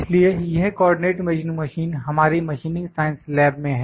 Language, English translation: Hindi, So, this is Co ordinate Measuring Machine in our Machining Science Lab